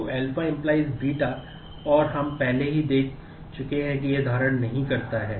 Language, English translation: Hindi, So, alpha determines beta and we have already seen that it does not hold